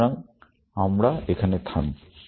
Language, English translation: Bengali, So, we stop here